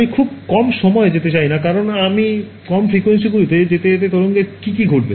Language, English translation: Bengali, I do not want to go too low because as I go to lower frequencies what happens to the wave length